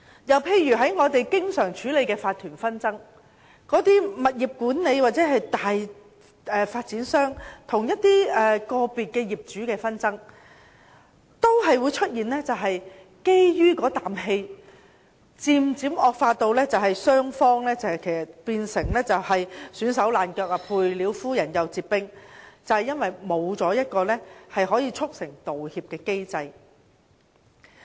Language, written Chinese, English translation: Cantonese, 又例如我們經常處理的法團紛爭，物業管理公司或大發展商與個別業主的紛爭都可能基於意氣，漸漸導致雙方鬧得焦頭爛額，"賠了夫人又折兵"，正因為沒有一個可以促成道歉的機制。, For instance we often handle cases of disputes for owners corporations . Disputes between individual owners and property management companies or large property developers often originate from an emotional argument which gradually deteriorates into a loss - loss situation because there is not any mechanism to facilitate the making of an apology